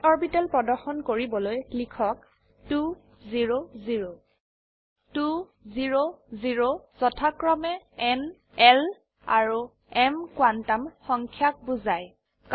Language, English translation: Assamese, type 2 0 0 The Numbers 2, 0, 0 represent n, l and m quantum numbers respectively